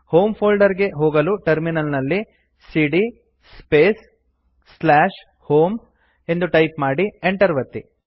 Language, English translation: Kannada, Goto home folder on the terminal by typing cd space / home and press Enter